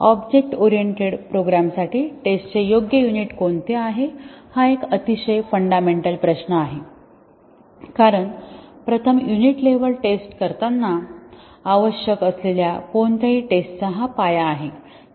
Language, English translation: Marathi, First let us address this is a very fundamental question what is a suitable unit of testing for object oriented programs because this is the foundation of any testing that we need to do first the unit level testing